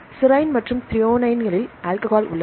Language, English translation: Tamil, Serine and threonine contain the alcohol